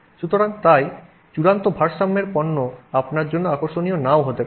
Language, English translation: Bengali, So, therefore you know the final equilibrium product may not be interesting to you